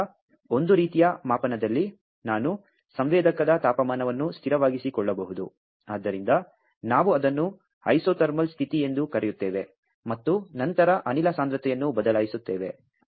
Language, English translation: Kannada, So, in one kind of measurement, I can keep the temperature of the sensor constant, so we call it as a isothermal condition, and then change the gas concentration